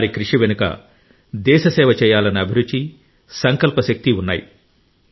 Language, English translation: Telugu, Behind it lies the spirit of service for the country, and power of resolve